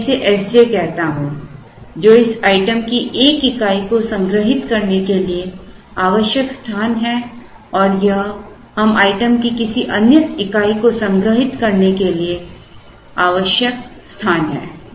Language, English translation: Hindi, So, let me call this as S j which is the space required to store a unit of this item and this is space required to store another unit of this item